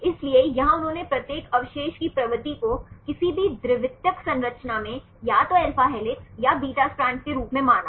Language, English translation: Hindi, So, here they considered the propensity of each residue to be in any secondary structure either alpha helix or a beta strand